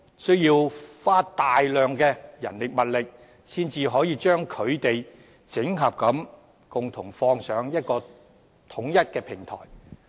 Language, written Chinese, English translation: Cantonese, 需要花大量的人力物力，才可以將其整合，上載至統一的平台。, Tremendous manpower and resources are required to integrate them and upload them onto a centralized platform